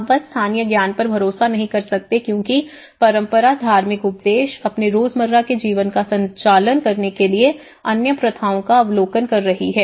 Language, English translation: Hindi, Now cannot simply rely on local knowledge as tradition, religious precepts, habit observation of other practices to conduct their everyday lives